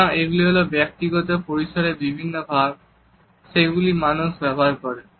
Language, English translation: Bengali, So, these are different sort of zones of personal space that people use